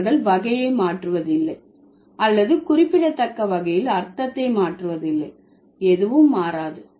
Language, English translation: Tamil, So, neither the change category nor they change the meaning significantly, nothing changes